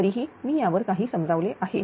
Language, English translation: Marathi, Although something I have explained on this